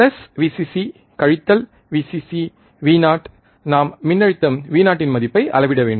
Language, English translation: Tamil, And plus, Vcc minus Vcc Vo, we have to value measure the value of voltage Vo